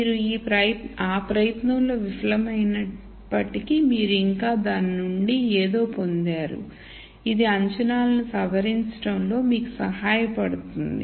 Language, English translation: Telugu, Even though you failed in that attempt you still got something out of it which would help you in modifying the assumption